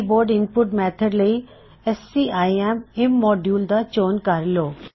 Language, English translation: Punjabi, In the Keyboard input method system, select scim immodule